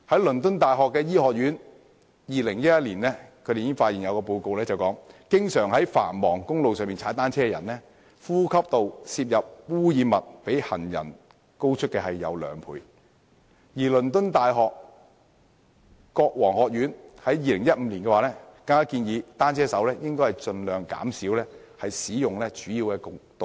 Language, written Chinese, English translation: Cantonese, 倫敦大學醫學院在2011年已有報告發現，經常在繁忙公路踏單車的人士，其呼吸道攝入的污染物比行人高出兩倍，而倫敦大學國王學院更在2015年建議單車手應盡量減少使用主要道路。, According to the findings of a report released by the School of Medicine the University of London in 2011 cyclists who frequently rode on busy highways breathed in more than twice the amount of pollutants than pedestrians did and in 2015 the Kings College London even recommended cyclists minimize the use of major roads